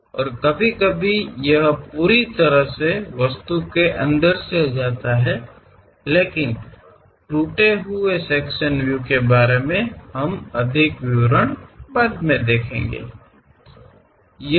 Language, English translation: Hindi, And sometimes it completely goes through the part; but something named broken cut sectional views, more details we will see later